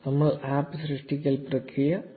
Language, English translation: Malayalam, We have completed the APP creation process